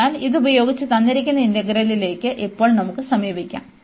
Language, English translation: Malayalam, So, with this now we can approach to the given integral